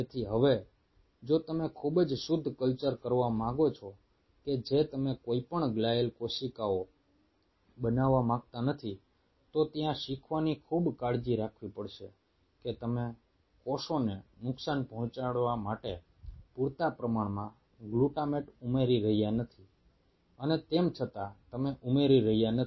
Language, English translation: Gujarati, so now if you want to do a very pure culture, that you do not want any glial cells to be present there, learning have to be very cautious that you are not adding enough glutamate to damage the cells and yet you are not adding so less that the cells do not get activated